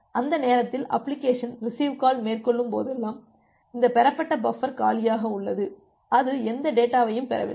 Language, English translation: Tamil, It may happen that whenever the application is making a receive call during that time, this received buffer is empty it has not received any data